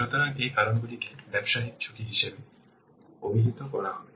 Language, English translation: Bengali, So, these factors will be termed as a business risk